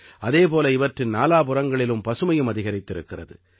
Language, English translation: Tamil, At the same time, greenery is also increasing around them